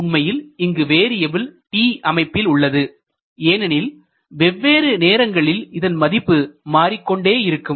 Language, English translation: Tamil, Here actually t is a variable parameter because at different time it will have different position